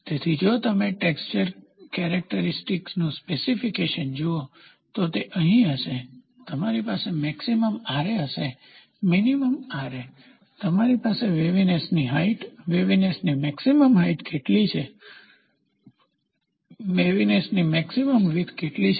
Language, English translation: Gujarati, So, if you look at a specification of a texture characteristics, it will be here you will have maximum Ra, minimum Ra, maximum Ra, you will have what is the waviness height, what is the maximum waviness height, what is the maximum waviness width